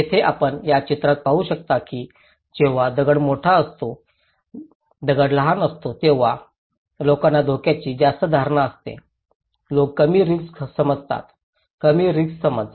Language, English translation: Marathi, Here, you can see in this picture when the stone is bigger, people have greater perception of risk when the stone is smaller, people have less risk perception; a low risk perception